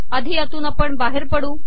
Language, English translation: Marathi, Lets first exit this